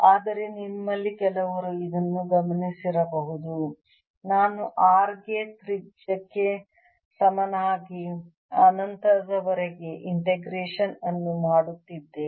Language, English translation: Kannada, but some of you may have noticed that i am doing an integration from r equal to radius upto infinity